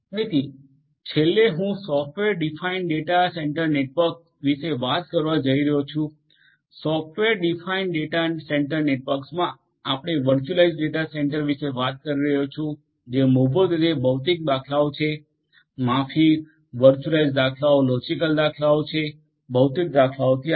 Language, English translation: Gujarati, So, lastly I am going to talk about the software defined data centre network, in a software defined data centre network we are talking about virtualized data centres which are basically the physical instances beyond the sorry the virtualized instances the logical instances beyond the physical ones